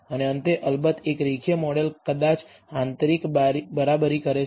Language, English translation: Gujarati, And lastly of course, a linear model maybe inner equates